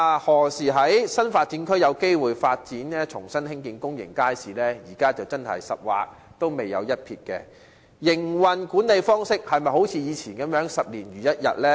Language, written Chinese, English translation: Cantonese, 對於新發展區何時有機會重新興建公眾街市，現時是"十劃仍未有一撇"，而營運管理方式會否像以往般十年如一日呢？, Regarding the question of when there will be the chance of building a public market afresh in the new development area now there is not the slightest sign of commencement yet . Will the operation and management approach stick in the rut like the past?